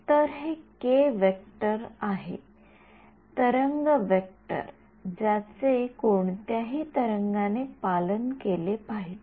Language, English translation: Marathi, So, this is that k vector, the wave vector that has to be obeyed by any wave